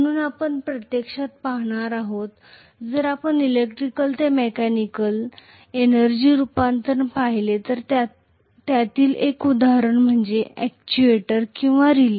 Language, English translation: Marathi, So we are going to look at actually if you look at electrical to mechanical energy conversion, one of the examples is an actuator or a relay